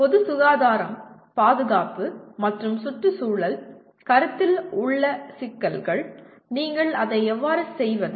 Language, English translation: Tamil, Issues related to public health, safety and environmental consideration, how do you do that